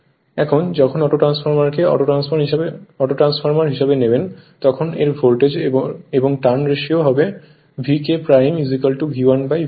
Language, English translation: Bengali, Now, when you take Autotransformer as an autotransformer its voltage and turns ratio will be V K dash is equal to V 1 upon V 2